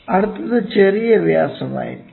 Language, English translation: Malayalam, Next one is going to be major diameter